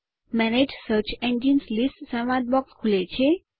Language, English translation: Gujarati, The Manage Search Engines list dialog box pops up